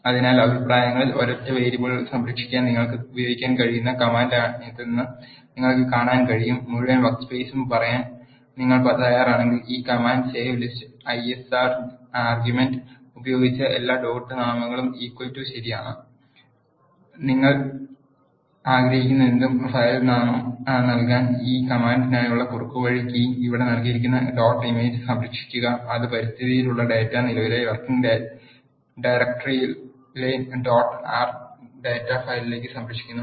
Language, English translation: Malayalam, So, in the comments you can see that this is the command which you can use to save a single variable a, if you are willing to say the full workspace you need to use this command save list is equal to ls with argument all dot names is equal to true and you can give the filename whatever you wish to and the shortcut key for this command which is given here is save dot image which saves the data in the environment into dot R data file in the current working directory